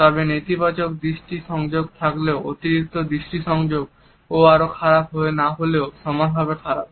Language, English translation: Bengali, However, if a negative eye contact is, but too much of an eye contact is equally bad if not worse